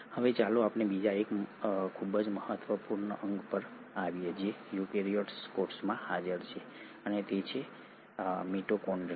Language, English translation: Gujarati, Now let us come to another very important organelle which is present in eukaryotic cell and that is the mitochondria